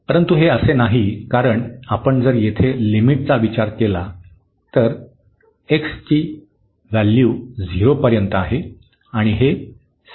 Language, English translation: Marathi, But, this is not the case because if we consider the limit here so, the limit as x goes to x goes to 0 and this sin x over x